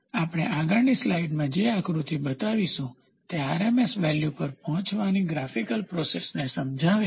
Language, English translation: Gujarati, The figure which we will show in the next slide, illustrates the graphical procedure for arriving at the RMS value